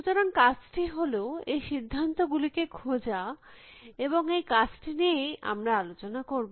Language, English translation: Bengali, So, the task is to find these decisions, and that is the task we will be addressing